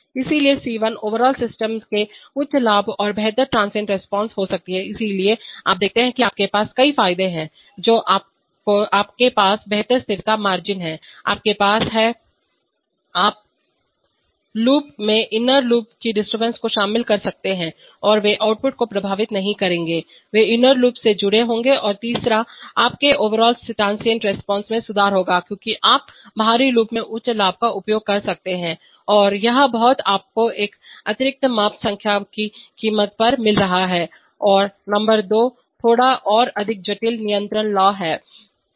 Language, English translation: Hindi, So C1 can be high gain and better transient response for the overall system, so you see that you have several advantages you have better stability margins, you have, you can contain inner loop disturbances within the inner loop and they will not affect the output, they will get connected in the inner loop and thirdly speaking your overall transient response will improve because you can use higher gains in the outer loop right and all this you are getting at the expense of an additional measurement number one and number two are slightly more complicated control law